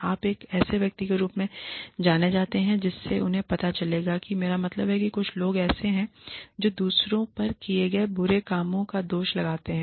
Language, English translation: Hindi, You are known as a, you know, so they will, i mean, people, there are some people, who put the blame for the bad things, they do on, others